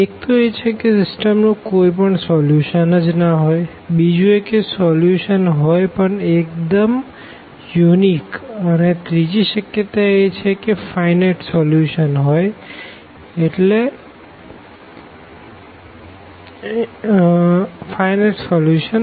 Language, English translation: Gujarati, One that the system does not have a solution at all, the second it has a solution and it is unique, the third one it has solutions and they are in finite in number; so, infinitely many solutions